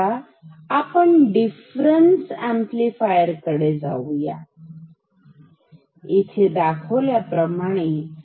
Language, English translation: Marathi, Now let us come to the difference amplifier ok, which is here ok